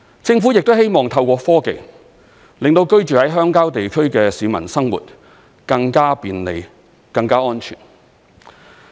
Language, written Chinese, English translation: Cantonese, 政府亦希望透過科技，令到鄉郊地區的居民生活更加便利、更加安全。, It is also the Governments wish to make the life of residents in rural areas more convenient and safer with the use of technology